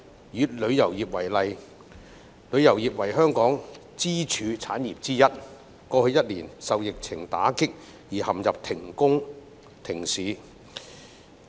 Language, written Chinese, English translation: Cantonese, 以旅遊業為例，旅遊業為香港支柱產業之一，過去一年受疫情打擊而陷入停工停市。, Taking the tourism industry as an example as one of Hong Kongs pillar industries the tourism industry was hit hard by the epidemic last year and business and operation have been suspended